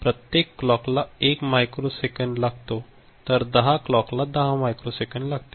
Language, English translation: Marathi, Each clock requires 1 micro second so, 10 clock cycles means 10 microsecond ok